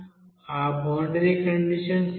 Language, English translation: Telugu, What is that boundary condition